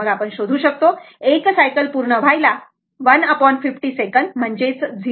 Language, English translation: Marathi, Then, you can find out 1 cycle will be computed by 1 upon 50 second that is 0